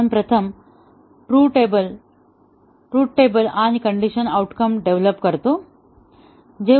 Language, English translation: Marathi, So, we first develop the truth table and the decision outcome